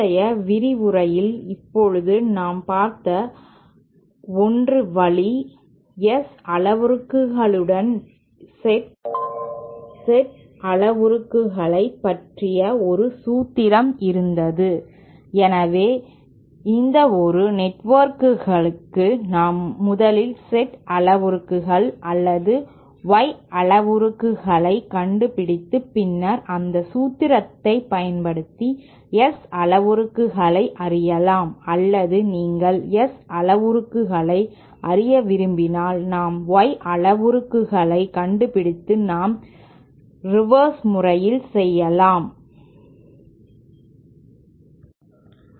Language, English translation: Tamil, Now 1 way that we saw in the previous lecture was there was a formula relating the Z parameters to the S parameters we can use that so for any network we can first find out the Z parameters or Y parameters and then use that formula to find out the S parameters or if you want to know the S parameters and we want to find out the Y parameters we can do the reverse